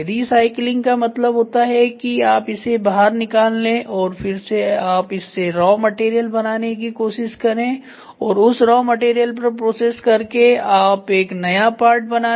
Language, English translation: Hindi, Recycling means you take it out dismantle it and then you try to generate the raw material and from the raw material you process it to get the part